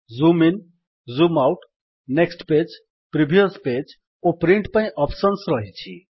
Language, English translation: Odia, There are options to Zoom In, Zoom Out, Next page, Previous page and Print